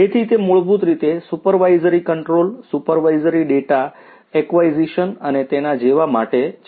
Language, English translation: Gujarati, So, it is basically for supervisory control, supervisory data acquisition and so on